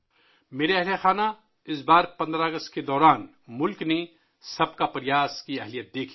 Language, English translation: Urdu, My family members, this time on 15th August, the country saw the power of 'Sabka Prayas'